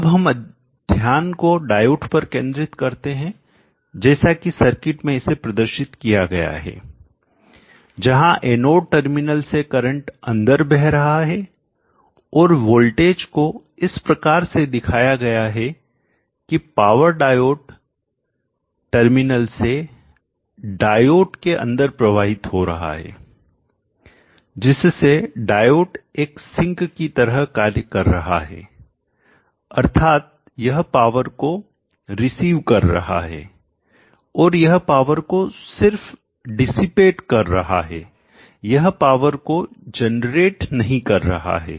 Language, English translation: Hindi, So we will bring the focus to the diode and this diode in its present representation as it is drawn in this circuit with the current flowing into the terminals anode terminal and with the voltage indicated asked us and the power flowing into the diode terminals they diode acts as a sync which means it receives power and only dissipates it cannot generate so this particular portion of the diode a portion of the diode circuit is now a sync circuit and not a generator circuit